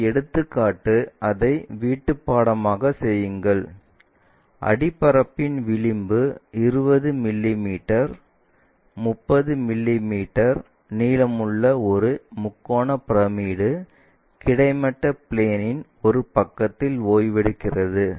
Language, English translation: Tamil, And this problem, work it out as a homework, where a triangular pyramid of edge of the base 20 mm and length 30 mm is resting on a side of the base horizontal plane